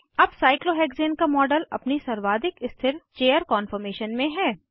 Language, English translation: Hindi, The model of Cyclohexane is now, in its most stable chair conformation